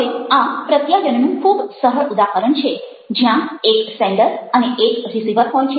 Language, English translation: Gujarati, so this is a very simple example of the process of communication where we have a sender and we have a receiver